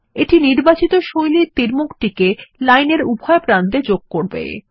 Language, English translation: Bengali, This will add the selected style of arrowheads to both ends of the line